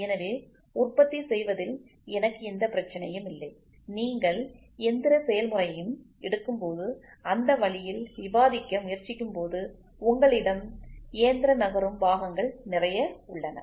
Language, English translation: Tamil, So, then I do not have any problem in producing and when you try to argue in that way in when you take any machining process you have lot of mechanical moving parts